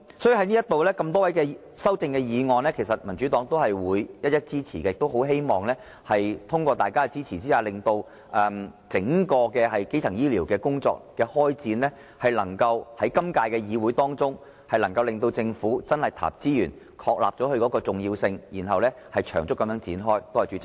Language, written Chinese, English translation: Cantonese, 所以，對於多位議員的修正案，民主黨也會一一支持，亦很希望通過大家的支持，令整個基層醫療工作能夠在今屆議會中得到開展，政府能真正投入資源，確立基層醫療工作的重要性，並長遠地展開。, Therefore the Democratic Party will support the amendments proposed by these Members . We hope that through Members support the work on primary health care can commence within this term of legislature and with the resources really allocated by the Government the importance of primary health care can be ascertained so that it can be developed in the long run